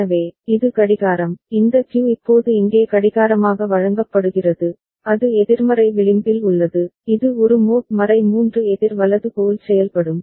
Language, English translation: Tamil, So, this is the clock, this Q is now fed as clock here, at it is negative edge, it will behave like a mod 3 counter right